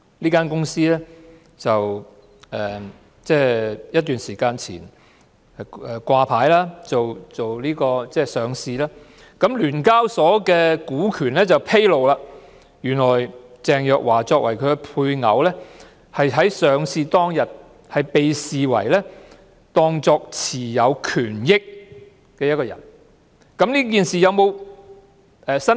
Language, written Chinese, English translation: Cantonese, 這間公司前陣子掛牌上市，根據香港聯合交易所有限公司的權股披露，原來鄭若驊作為配偶在上市當天被視為持有權益的人，但她有否作出申報？, The company was listed some time ago . According to the Disclosure of Interests of the Stock Exchange of Hong Kong Limited Teresa CHENG being a spouse is deemed to be someone having beneficial interests in the company on the day of listing